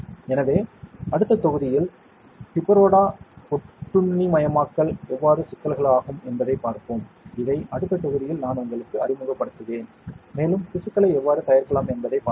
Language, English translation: Tamil, So, in the next module we will look at how issues can be deparodo parasitization is a process which I will introduce to you in the next module, and we will see how tissues can be prepared